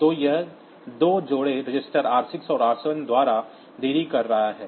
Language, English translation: Hindi, So, this is putting two delays r 2 r register pair r 6 and r 7